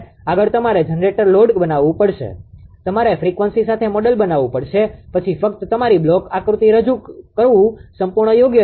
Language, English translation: Gujarati, Next you have to make a generator or load also you have to model with frequency, then only your block diagram representation will be complete right